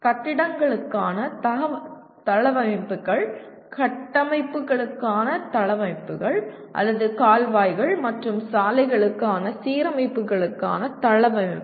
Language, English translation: Tamil, Layouts for buildings, layouts for structures or layouts for alignments for canals and roads